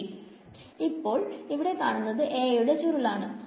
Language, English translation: Malayalam, So now, that is the curl of A over here